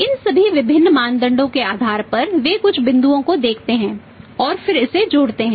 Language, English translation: Hindi, On the basis of all these different criteria their sight some points and then the total it up